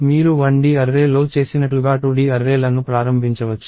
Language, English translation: Telugu, You can initialize 2D arrays as you did for 1D array also